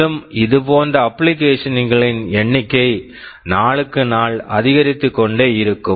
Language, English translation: Tamil, And the number of such applications will only increase day by day